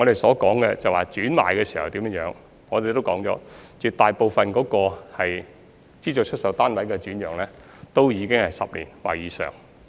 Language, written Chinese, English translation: Cantonese, 我剛才談到轉讓時，已指出絕大部分資助出售單位的轉讓均是持有單位10年或以上。, Just now in connection with SSF alienation I pointed out that the vast majority of the SSFs were resold more than 10 years after first assignment